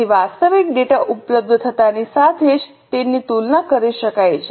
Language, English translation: Gujarati, So, as soon as the actual data is available, it can be compared